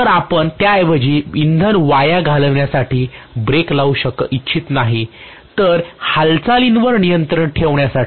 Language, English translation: Marathi, So you would like to rather apply brake not to waste the fuel, but to have a control over the movement, right